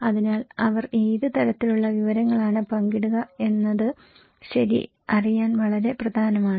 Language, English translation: Malayalam, So, what kind of information they will share is very important to know okay